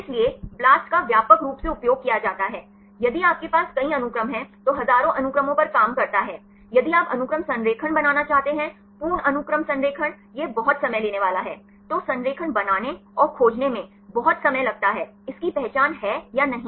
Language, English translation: Hindi, So, BLAST is widely used, if you have several sequences, works on thousands of sequences, if you want to make the sequence alignment, complete sequence alignment, it is very time consuming, right it takes lot of time to make the alignment and find this has identity or not